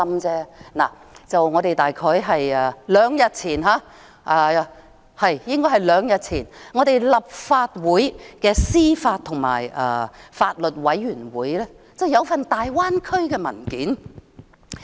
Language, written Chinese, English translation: Cantonese, 可是，就在大約兩天前，當局向立法會司法及法律事務委員會提交了一份大灣區文件。, However just about two days ago the Administration submitted a paper on the Greater Bay Area to the Legislative Council Panel on Administration of Justice and Legal Services